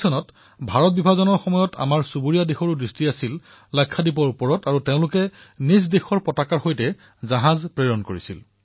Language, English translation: Assamese, Soon after Partition in 1947, our neighbour had cast an eye on Lakshadweep; a ship bearing their flag was sent there